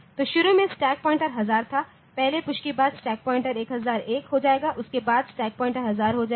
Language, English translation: Hindi, So, initially the stack pointer was 1000, after the first push the stack pointer will become 1001, after that the stack pointer will become 1000